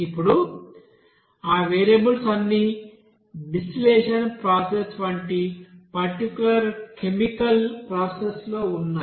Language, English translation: Telugu, Now all those variables like suppose in a particular chemical process like distillation process